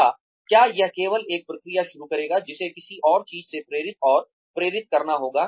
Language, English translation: Hindi, Or, will it only start a process, that will have to be pushed and motivated, by something else